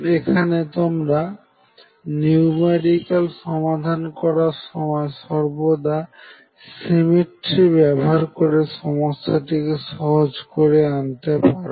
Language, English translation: Bengali, Now, you can always make use of the symmetry while solving problems numerically you can reduce the effort by making use of symmetry of the problem